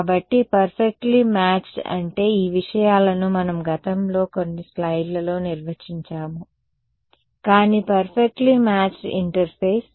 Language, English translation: Telugu, So, perfectly matched meant these things that is what we have defined in a few slides ago, but perfectly matched interface